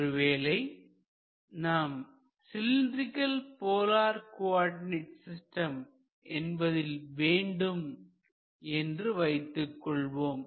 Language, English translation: Tamil, that will give you a confidence that you have done it correctly in terms of the cylindrical polar coordinate systems